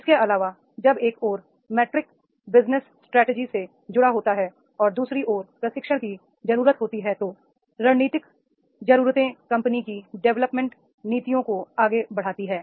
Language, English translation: Hindi, Further as the matrix is linked to the business strategy on the one hand and training needs on the other strategic needs drive the company's development policies